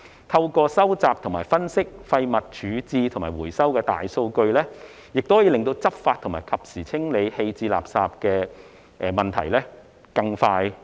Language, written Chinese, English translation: Cantonese, 透過收集、分析廢物處置及回收的大數據，亦可以更快地到位解決執法和及時清理棄置垃圾的問題。, By collecting and analysing the big data of waste disposal and recycling the problems with law enforcement and timely removal of waste can also be properly solved in a more expeditious manner